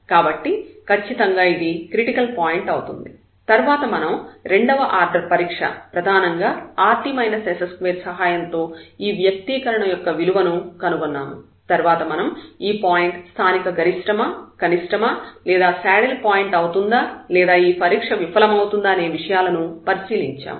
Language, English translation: Telugu, So, definitely this is a critical point and then we discuss with the help of the second order test here, mainly this rt minus s square the value of this expression we can find out whether it is a point of local maximum minimum saddle point and in this situation when rt minus s square is 0 this just fails